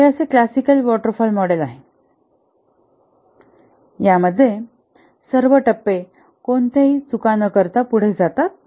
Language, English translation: Marathi, And that is what is basically the classical waterfall model that all phases proceed without any mistakes